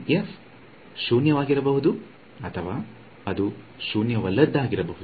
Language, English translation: Kannada, This f may be zero or it will be or it can be non zero